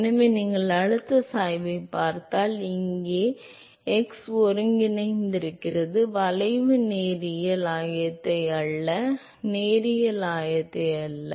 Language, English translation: Tamil, So, therefore, if you look at the pressure gradient, so note that here x coordinates the curve linear coordinate not the linear coordinate